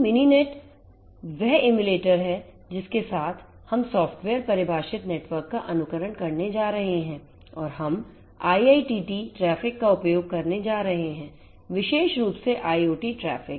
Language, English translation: Hindi, So, Mininet is the emulator of with which we are going to emulate this software defined network scenario and we are going to use the IIoT traffic; IoT traffic more specifically